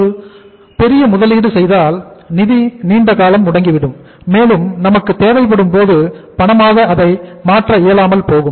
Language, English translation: Tamil, And if the large investment is made the funds will be blocked for the longer duration and will not be able to convert into cash as and when we wanted